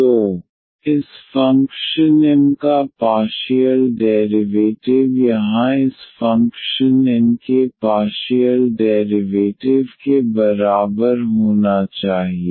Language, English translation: Hindi, So, the partial derivative of this function M should be equal to the partial derivative of this function N here